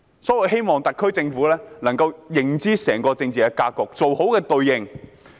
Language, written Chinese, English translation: Cantonese, 所以，我希望特區政府能夠認知整個政治格局，妥善地應對。, So I hope that the SAR Government can have a good knowledge of the whole political situation and deal with it properly